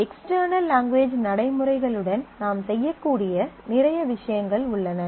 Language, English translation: Tamil, And there are a whole lot of things you can do with the external language routines